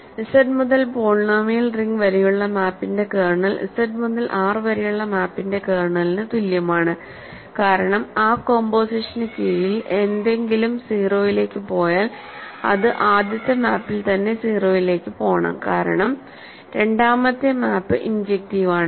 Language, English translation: Malayalam, Kernel of the map from Z to the polynomial ring is equal to the kernel of the map from Z to R, because if something goes to 0 under that composition it must go to 0 in the first map itself because, it second map is injective